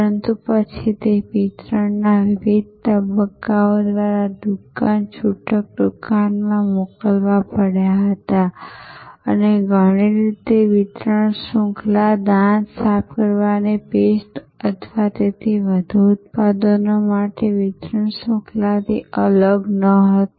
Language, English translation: Gujarati, But, then those had to be sent to stores, retail stores through various stages of distribution and in many ways that distribution chain was no different from the distribution chain for toothpaste or so for most of the products